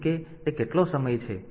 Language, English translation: Gujarati, So, like how much time